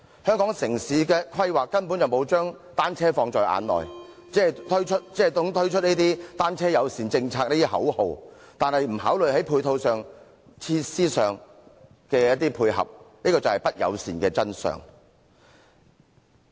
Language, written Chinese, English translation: Cantonese, 香港城市規劃根本沒有把單車放在眼內，只懂推出單車友善政策這類口號，卻不考慮在配套及設施上作出配合，這便是不友善的真相。, The urban planning of Hong Kong has not taken bicycles into account . While the Government only chants slogans such as a bicycle - friendly policy no consideration has been given to corresponding measures and ancillary facilities . It is the unfriendly truth